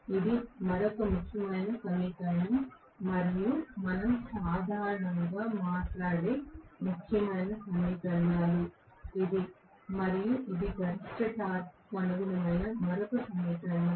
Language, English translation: Telugu, This is another important equation and 1 more important equations which we normally talk about is this and this is another equation corresponding to maximum torque